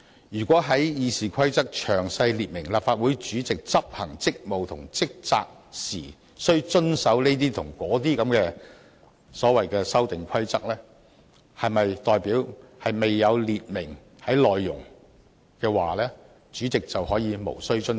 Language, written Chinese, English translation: Cantonese, 如果要在《議事規則》詳細列明，立法會主席執行職務及履行職責時須遵守這些或那些的所謂修訂規則，是否代表未有列明的規則，主席就可以無須遵守？, If it shall be listed in RoP that the President shall follow certain rules contained in the proposed amendments in exercising his duties and performing his responsibilities does it mean that the President shall not follow any other rule which is not listed?